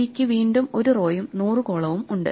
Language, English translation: Malayalam, And C has again 1 row and 100 columns